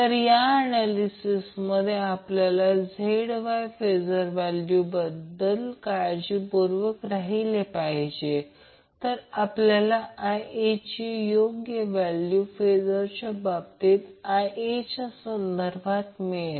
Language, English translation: Marathi, So in the analysis we have to be very careful about the phasor value of ZY so that we get the proper value of IA in phasor terms with respect to VA